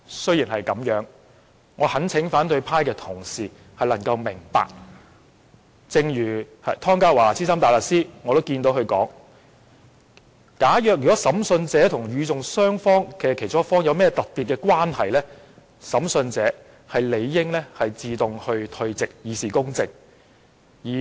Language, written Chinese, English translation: Cantonese, 然而，我懇請反對派同事明白，正如湯家驊資深大律師所說，"假若審訊者與訴訟雙方之其中一方有特別關係，審訊者理應自動退席，以示公正。, Nevertheless I hope opposition Members would understand just as Senior Counsel Ronny TONG has said If an investigator has special connection with either party of the proceeding he or she should withdraw from discussion automatically for the sake of justice